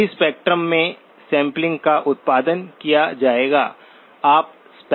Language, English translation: Hindi, Samples will be produced all over the spectrum